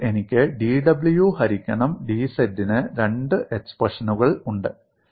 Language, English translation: Malayalam, So now I have two expressions, for dw by dz